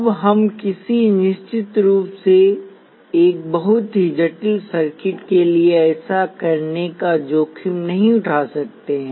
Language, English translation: Hindi, Now we certainly cannot afford to do that for a very complex circuit